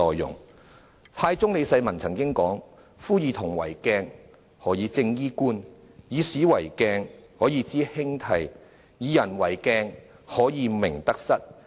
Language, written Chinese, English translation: Cantonese, 唐太宗李世民曾經說："夫以銅為鏡，可以正衣冠；以古為鏡，可以知興替；以人為鏡，可以明得失。, Emperor Taizong of the Tang Dynasty once said Using bronze as a mirror one can straighten his hat and clothes; using history as a mirror one can know the rise and fall of dynasties; using people as a mirror one can know his own right and wrong